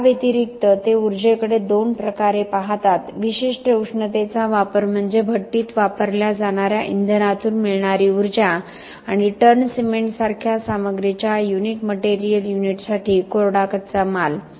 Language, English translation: Marathi, In addition, they look at energy in two ways the specific heat consumption is the energy from the fuels used in the kiln and the raw material dry for a unit material unit of the material like ton of cement